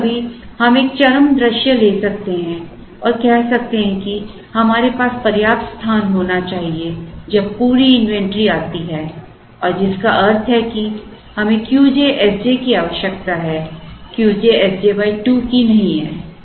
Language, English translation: Hindi, Sometimes, we may take an extreme view and say that we should have enough space, when the entire consignment comes and which means we need Q j S j and not Q j S j by 2